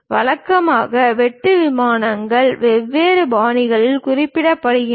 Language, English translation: Tamil, Usually cut planes are represented in different styles